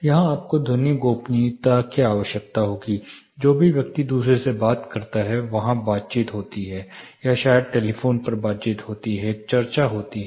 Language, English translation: Hindi, here you will require acoustic privacy, say you know whatever the person talks to the other, there is the conversation, or maybe there is the telephonic conversation, there is a discussion happening